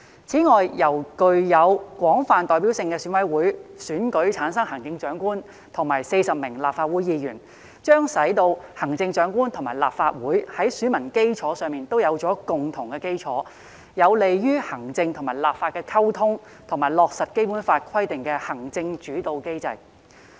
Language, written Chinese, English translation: Cantonese, 此外，由具有廣泛代表性的選委會選舉產生行政長官和40名立法會議員，將使行政長官和立法會在選民基礎上有共同基礎，有利於行政和立法的溝通，以及落實《基本法》規定的行政主導體制。, Moreover electing the Chief Executive and 40 Legislative Council Members by a broadly representative EC will provide a common basis for the Chief Executive and the Legislative Council in terms of electorate . It is conducive to communication between the executive and the legislature as well as the implementation of the executive - led system as stipulated in the Basic Law